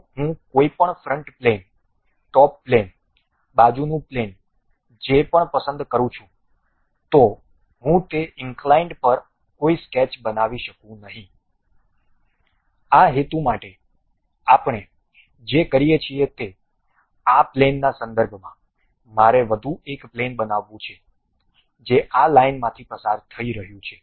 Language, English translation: Gujarati, If I pick any front plane, top plane, side plane whatever this, I cannot really construct any sketch on that incline; for that purpose what we are doing is with respect to this plane, I would like to construct one more plane, which is passing through this line